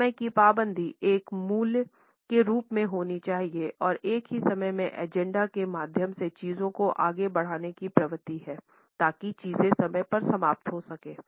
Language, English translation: Hindi, Punctuality as a value has to be there and at the same time there is a tendency to push things through the agenda so, that things can end on time